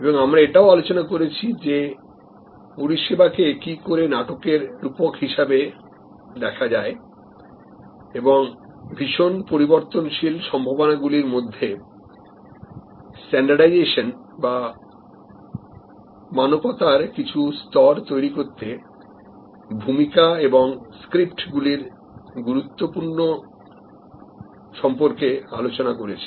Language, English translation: Bengali, And also we discussed about service as a theater the metaphor of theater and the importance of roles and scripts to create some levels of standardization in highly variable possibilities